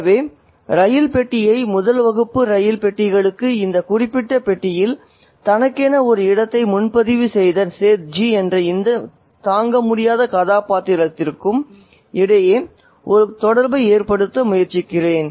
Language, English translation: Tamil, So, I'm trying to make an association between the train compartment, the first class train compartment and this unbearable character called SETI who has booked a space for himself in this particular compartment